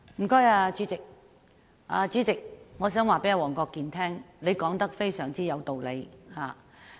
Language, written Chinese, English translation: Cantonese, 代理主席，我想告訴黃國健議員，他說得非常有道理。, Deputy President I want to tell Mr WONG Kwok - kin that what he said makes perfect sense